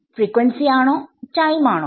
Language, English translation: Malayalam, Frequency or time